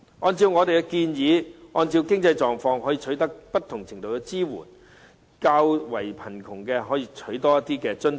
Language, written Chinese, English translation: Cantonese, 按照我們的建議，按經濟狀況可取得不同程度的支援，較為貧窮的人士可以多取一些津貼。, According to our suggestions people will receive different degrees of support depending on their financial conditions . Those who are poorer may obtain a greater amount of allowance